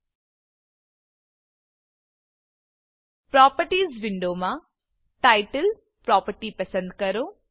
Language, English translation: Gujarati, In the Properties window, select the Title property